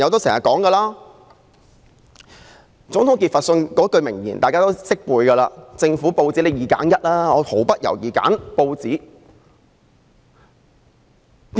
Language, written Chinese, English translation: Cantonese, 總統傑佛遜有一句名言，大家都耳熟能詳："如果要我在政府與報紙中二擇其一，我會毫不猶豫地選擇報紙。, Members may be familiar with this famous quote from President Thomas JEFFERSON Were it left to me to decide whether we should have a government without newspapers or newspapers without a government I should not hesitate a moment to prefer the latter